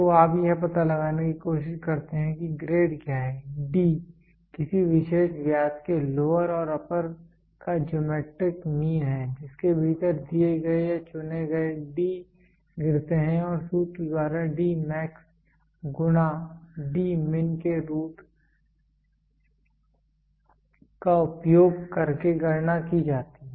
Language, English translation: Hindi, So, you try to find out what is the grade, D is the geometric mean of lower and upper diameter of a particular diameter step within which the given or the chosen D lies and is calculated by using the formula D max into D min by root